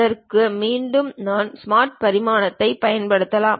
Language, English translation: Tamil, For that again I can use smart dimension